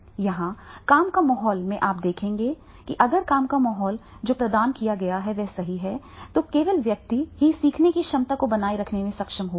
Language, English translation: Hindi, Here in the work environment you will see that is the if work environment that is provided right then only the person will be able to make the learning their retention